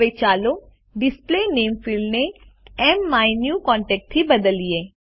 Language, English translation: Gujarati, Now, lets change the Field Display Name to MMyNewContact